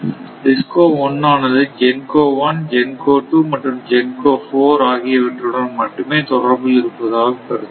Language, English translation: Tamil, Suppose if I assume DISCO 1 has contact with GENCO 1, GENCO 2 and GENCO 4 suppose it needs 10 megawatt later I will give